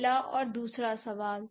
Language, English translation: Hindi, That's the first question